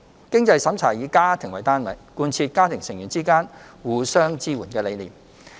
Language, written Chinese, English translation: Cantonese, 經濟審查以家庭為單位，貫徹家庭成員之間互相支援的理念。, The means test of the Scheme is conducted on a household basis which is in keeping with the concept of promoting mutual support among family members